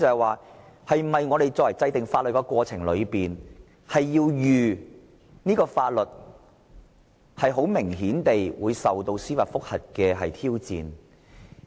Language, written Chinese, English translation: Cantonese, 我想問在制定法律的過程中，是否必須作好法律會受到司法覆核挑戰的準備？, I would like to ask whether it is necessary for the Government to prepare for the challenge of judicial review in the course of enacting any law